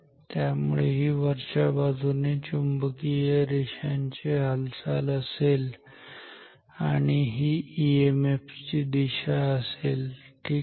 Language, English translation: Marathi, So, this is the motion flux lines are upwards and this is the direction of the EMF ok